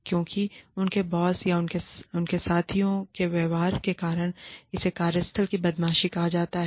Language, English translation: Hindi, Because of the behavior of, either their boss, or their peers, then it is called workplace bullying